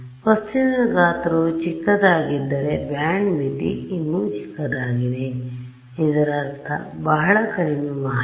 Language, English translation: Kannada, If the object size is small then the band limit is even smaller so; that means, as very little information